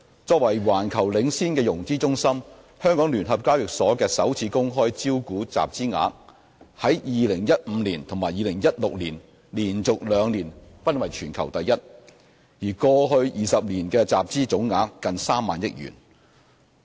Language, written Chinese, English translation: Cantonese, 作為環球領先的融資中心，香港聯合交易所的首次公開招股集資額於2015年及2016年連續兩年均為全球第一，過去20年集資總額近3萬億元。, As a world leading financing centre the Stock Exchange of Hong Kong ranked first globally in terms of funds raised through initial public offerings IPOs for two consecutive years in 2015 and 2016 and the total amount of funds raised in the past 20 years were close to 3 trillion